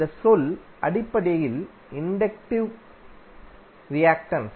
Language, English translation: Tamil, This term is basically the inductive reactance